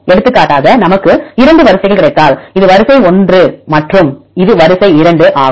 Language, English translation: Tamil, For example, if we got 2 sequences this is sequence 1 and this is sequence 2